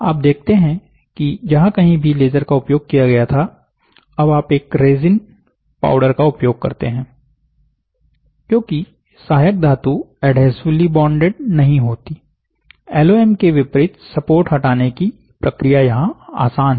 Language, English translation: Hindi, So, you see wherever laser was used now, you use a resin powder, because the supporting metal is not adhesively bonded unlike in LOM the support removal process is easier here